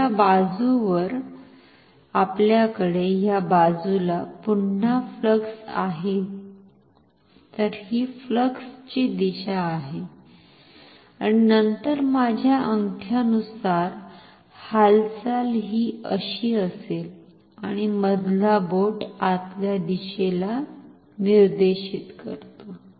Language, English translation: Marathi, So, this is the direction of flux and then the motion which is according along my thumb is like this and the middle finger is pointing inwards